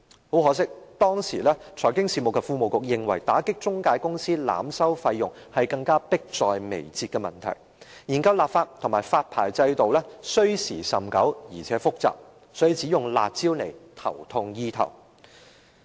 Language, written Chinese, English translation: Cantonese, 很可惜，當時財經事務及庫務局認為打擊中介公司濫收費用是更迫在眉睫的問題，研究立法和發牌制度需時甚久，而且複雜，所以只用"辣招"頭痛醫頭。, Regrettably the incumbent Secretary for Financial Services and Treasury considered the charging of exorbitant fees by intermediary companies a more imminent problem and in view of the long time required and complexity of the study on legislation and a licencing regime some stopgap harsh measures were introduced